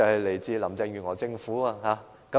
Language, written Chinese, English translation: Cantonese, 來自林鄭月娥政府。, It comes from the Carrie LAM Government